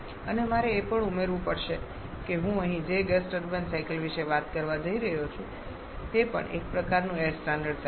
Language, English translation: Gujarati, And I also have to add to that the gas turbine cycle that I am going to talk about here that can use also one kind of air standard cycles